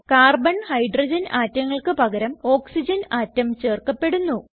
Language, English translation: Malayalam, Carbon and Hydrogen atoms will be replaced by Oxygen atom